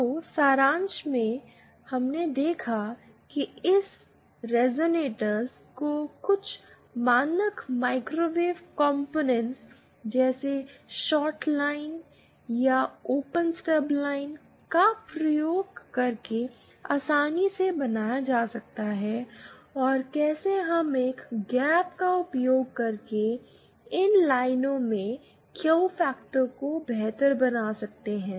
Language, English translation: Hindi, So, in summary, we saw how resonators can be easily built using some standard microwave components like shorted lines or open stub lines and how we can improve the Q factor of these lines using a gap